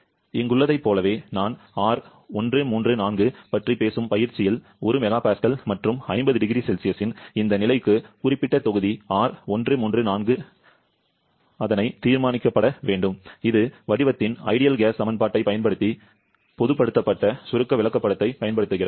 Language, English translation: Tamil, Like here, in the exercise I am talking about R134a; the specific volume R134a has to be determined for this condition of 1 mega Pascal and 50 degree Celsius using the ideal gas equation of state and also using the generalised compressibility chart, the real value is given to be this much, we have to check how much error both of the approaches are giving